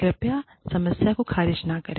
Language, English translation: Hindi, Please, do not dismiss the problem